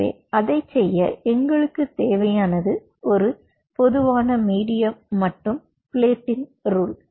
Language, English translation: Tamil, so in order to do that, what we needed was a common medium and a different plating rules